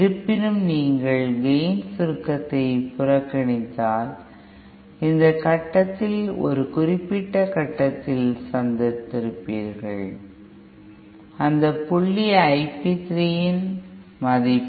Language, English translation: Tamil, However, if you ignore the gain compression, then there would have met at this point, at a certain point and that point is the I P 3 value